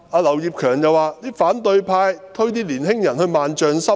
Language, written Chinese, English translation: Cantonese, 劉業強議員說，反對派把年輕人推落萬丈深淵。, Mr Kenneth LAU said the opposition camp had pushed young people down into a fathomless abyss